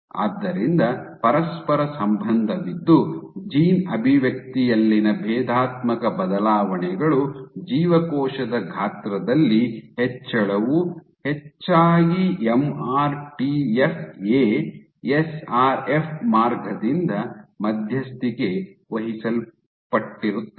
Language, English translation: Kannada, So, there was a correlation so the differential changes in gene expression, with increase in cell size were largely mediated by the MRTF A SRF pathway